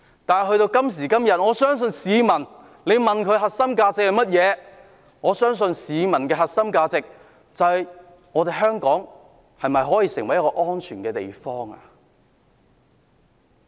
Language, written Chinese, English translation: Cantonese, 但是，到了今天，如果問市民香港的核心價值是甚麼，市民可能會說希望香港成為一個安全的地方。, However if a question is put to people as to what the core values of Hong Kong are these days people may say that they hope Hong Kong can become a safe place